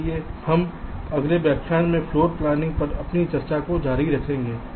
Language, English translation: Hindi, so we continuing with our discussion on floor planning in the next lecture